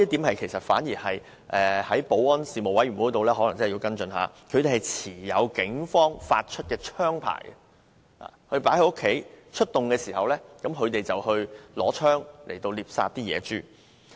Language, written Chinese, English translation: Cantonese, 我覺得保安事務委員會可能要跟進一下，因為他們持有警方發出的槍牌，平時把槍放在家中，出動時便持槍獵殺野豬。, I think the Panel on Security may have to follow up because these team members with arms licences issued by the Police normally keep the guns at home and carry the guns out when they are called to hunt wild pigs